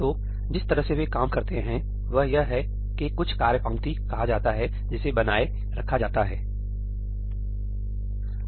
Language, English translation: Hindi, So, the way they work is that there is something called a task queue that is maintained